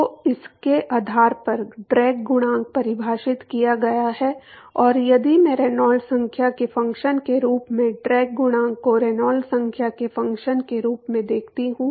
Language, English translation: Hindi, So, the based on that the drag coefficient is defined and if I look at the drag coefficient as a function of Reynolds number as a function of Reynolds number